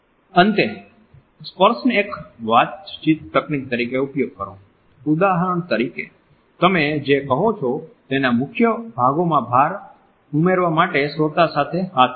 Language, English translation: Gujarati, Lastly use touching as a communication technique, for example touch the listener on the forearm to add emphasis to key parts of what you are saying